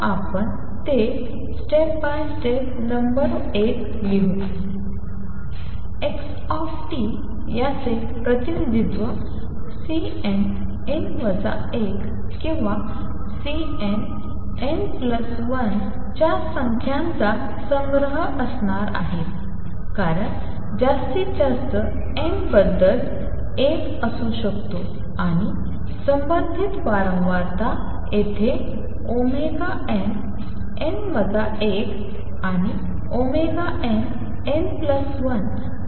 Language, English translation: Marathi, So, let us write it step by step number one xt representation is going to be a collection of numbers of C n, n minus 1 or C n, n plus 1 because maximum n change could be 1 and the corresponding frequency here let it be omega n, n minus 1 and omega n, n plus 1